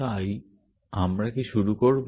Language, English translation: Bengali, So, shall we begin